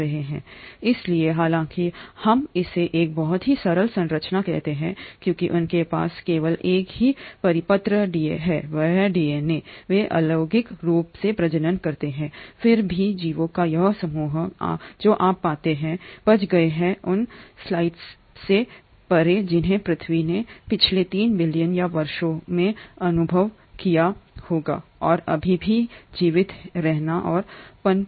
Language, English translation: Hindi, So though we call it to have a very simple structure because they just have a single circular DNA, they do reproduce asexually yet this group of organisms you find have survived beyond slots which the earth must have experienced in last 3 billion or years and has still continue to survive and thrive